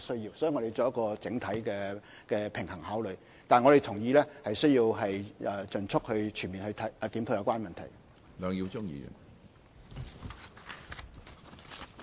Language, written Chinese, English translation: Cantonese, 所以，在考慮時需要取得整體的平衡，但我們同意需要盡速及全面檢討有關問題。, Therefore we agree that we need to strike an overall balance in our consideration but also expeditiously conduct a comprehensive review of the problem concerned